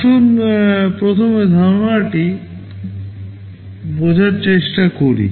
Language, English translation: Bengali, Let us understand first the concept